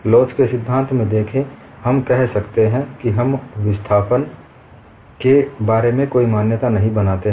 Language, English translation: Hindi, It is very important; see in theory of elasticity, we keep saying we are not making any assumption about the displacement